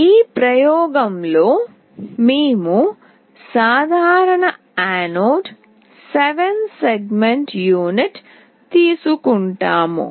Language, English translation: Telugu, In this experiment we will be taking common anode 7 segment unit